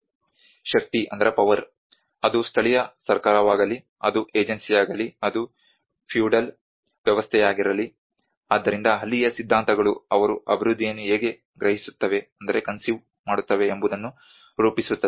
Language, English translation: Kannada, Power; whether it is a local government, whether it is an agency, whether it is a feudal system, so that is where the ideologies how they frame how they conceive the development